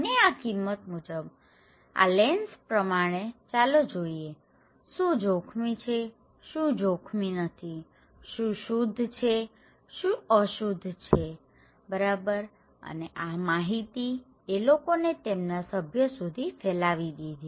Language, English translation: Gujarati, And through these values; through this lens let’s see, what is risky what is not risky, what is pure, what is impure okay and they disseminate this informations among their members